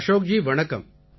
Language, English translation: Tamil, Ashok ji, Namaste